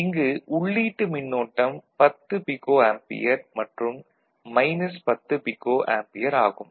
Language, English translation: Tamil, So, the input current is 10 pico ampere and a minus 10 pico ampere